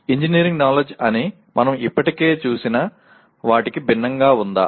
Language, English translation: Telugu, Is there anything called engineering knowledge separate from what we have already looked at